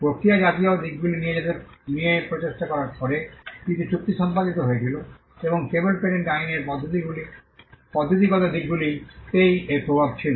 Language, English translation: Bengali, Whereas, the efforts on procedural aspects, there were certain treaties concluded and which only had an effect on the procedural aspect of patent law